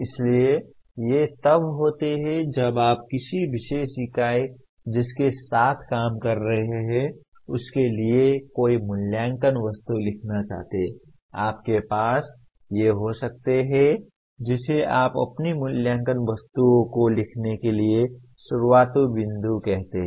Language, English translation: Hindi, So these are whenever you want to write any assessment items for a particular unit that you are dealing with, learning unit you are dealing with, you can have these as the what do you call starting point for writing your assessment items